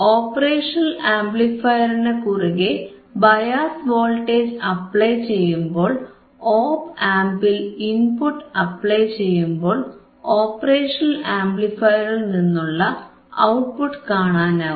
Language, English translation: Malayalam, So, when I do all these things, when I apply bias voltage across operation amplifier, apply the input at the op amp, I will be able to see the output from the operation amplifier is what we will do today